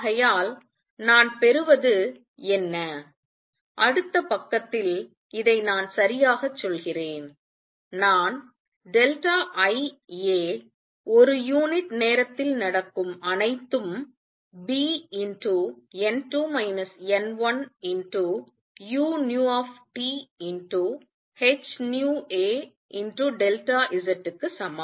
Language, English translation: Tamil, And therefore, what I get am I right this in the next page is that delta I times a that is all taking place per time is equal to B n 2 minus n 1 u nu T h nu times a delta Z